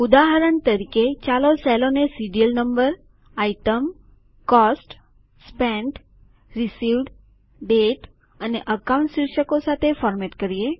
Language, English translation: Gujarati, For example, let us format the cells with the headings Serial Number, Item, Cost, Spent, Received, Dateand Account